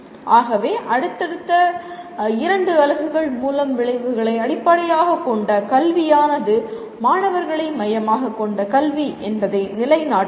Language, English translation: Tamil, So we try to establish through the next maybe two units that outcome based education truly makes the education student centric